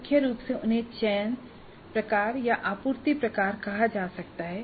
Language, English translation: Hindi, Primarily they can be called as selection type or supply type